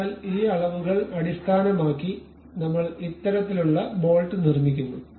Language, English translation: Malayalam, So, based on those dimensions we are constructing this kind of bolt